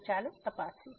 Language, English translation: Gujarati, So, let us just check